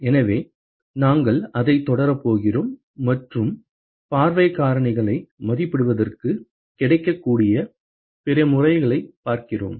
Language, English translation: Tamil, So, we are going to continue forward with that and look at other methods, which are available to evaluate view factors